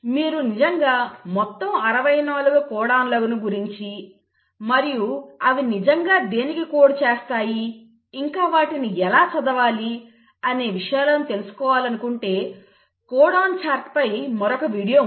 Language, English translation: Telugu, And if you really want to know all the 64 codons and what they really code for and how to read the there is another video on codon chart you can have a look at that too